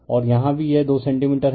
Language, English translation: Hindi, And here also this is the 2 centimeter